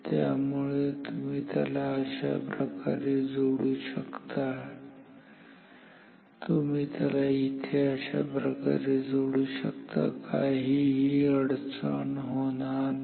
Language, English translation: Marathi, So, you can add it like this, you can also if you want you can also add it here no problem